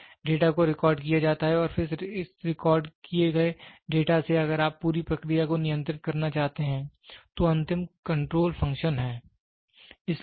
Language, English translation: Hindi, So, the data is recorded so and then it if from the recorded data if you want to control the entire process then the last one is the control function